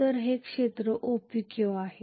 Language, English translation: Marathi, So this is area OPQ